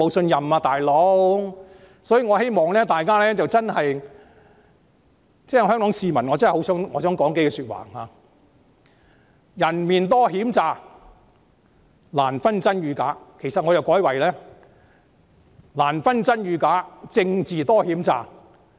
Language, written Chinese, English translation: Cantonese, 引用一句大家耳熟能詳的歌詞，"難分真與假人面多險詐"，我改為"難分真與假政治多險詐"。, Quoting a line of well - known lyrics truth or falsehood is difficult to discernhow deceitful peoples faces are which I would rewrite as truth or falsehood is difficult to discernhow deceitful politics is